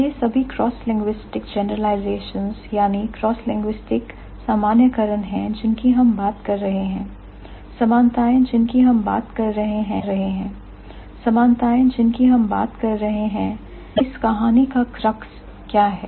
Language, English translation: Hindi, All these cross linguistic generalizations that we are talking about, similarities that we are talking about, explanations that are talking about